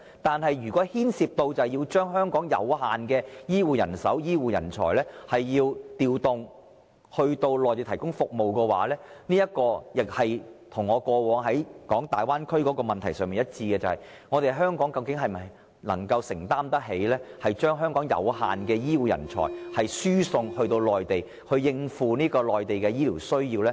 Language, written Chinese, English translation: Cantonese, 但是，如涉及將香港有限的醫護人手和人才調派至內地提供服務，這便與我過去所提及的粵港澳大灣區問題一樣：究竟香港能否承擔得起將有限的本地醫護人才輸送內地，以應付內地的醫療需要？, However if it involves the deployment of Hong Kongs limited health care personnel and talents to the Mainland for supporting the services provided there we will then be faced with the same problem which I have mentioned before on the development of the Guangdong - Hong Kong - Macao Bay Area and that is Can Hong Kong afford the transference of our limited local health care personnel to the Mainland for meeting the medical needs there?